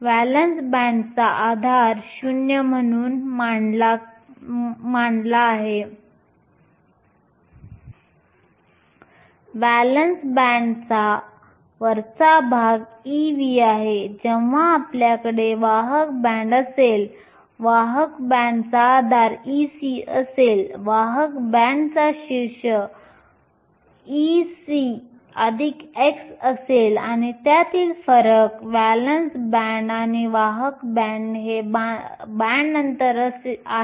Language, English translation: Marathi, The base of the valence band is set as zero, the top of the valence band is e v, when you have a conduction band, the base of the conduction band is e c, the top of the conduction band is e c plus chi and the difference between the valence band and the conduction band is the band gap